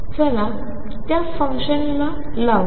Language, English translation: Marathi, Let us put those functions n